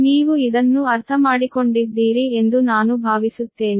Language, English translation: Kannada, hope this you have understood